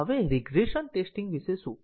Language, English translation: Gujarati, Now, what about regression testing